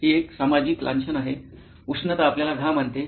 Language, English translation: Marathi, This is a social stigma, heat causes perspiration